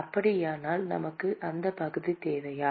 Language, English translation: Tamil, So we really need the area